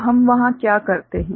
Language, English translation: Hindi, So, what we do there